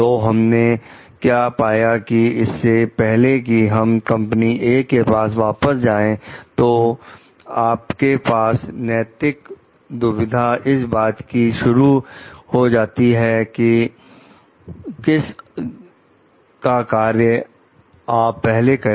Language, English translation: Hindi, So, what we find like, before you got back to company A so, your moral dilemma starts from the fact that whoever is the client